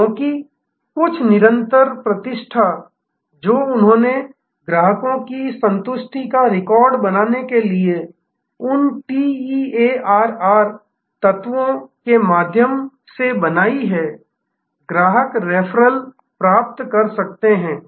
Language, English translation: Hindi, Because, of some sustained reputation that they have built up through those TEARR elements to create a record of customer satisfaction, receiving customer referral